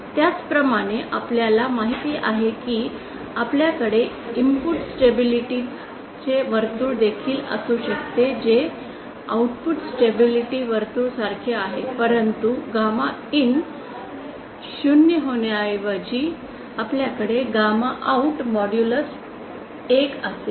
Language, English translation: Marathi, Similarly you know similarly we can also have the input stability circle which is analogous to the output stability circle, but instead of gamma IN becoming to zero we will have gamma out modulus equal to 1